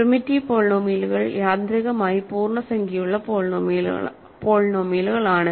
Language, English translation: Malayalam, So, primitive polynomials are automatically integer polynomials